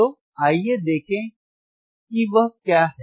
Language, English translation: Hindi, So, let us see what is that